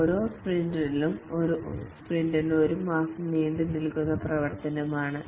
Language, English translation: Malayalam, In each sprint, a sprint is a month long activity